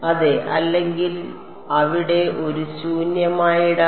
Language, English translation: Malayalam, Yeah otherwise there is an empty space